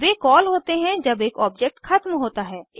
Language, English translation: Hindi, They are called when an object is destroyed